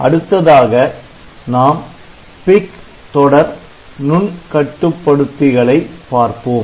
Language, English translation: Tamil, Next, we will look into the PIC microcontroller series